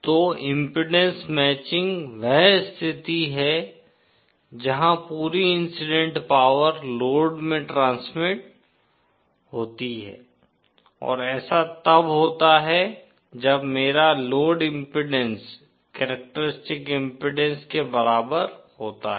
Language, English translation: Hindi, So impedance matching is that condition where the entire incident power is transmitted to the load and that happens when my load impedance is equal to the characteristic impedance